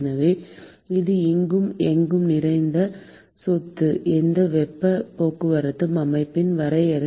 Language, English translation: Tamil, So, this is a ubiquitous property of a definition of any heat transport system